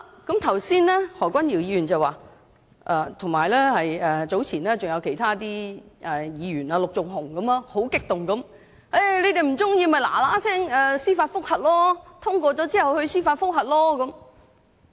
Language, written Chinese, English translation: Cantonese, 剛才何君堯議員——早前也有其他議員，例如陸頌雄議員——十分激動地說："你們不喜歡的話，在《條例草案》通過後，可趕快提出司法覆核"。, Just now Dr Junius HO―and earlier on other Members too such as Mr LUK Chung - hung―said agitatedly If you do not like this after the passage of the Bill you can make haste and seek a judicial review